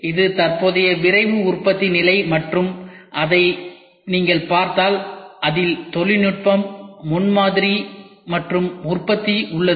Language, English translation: Tamil, This is the current Rapid Manufacturing status and if you look at it this is where technology, prototyping and manufacturing is there